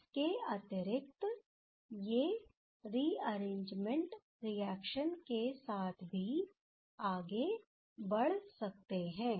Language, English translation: Hindi, Additionally, these can proceed with rearrangement reaction ok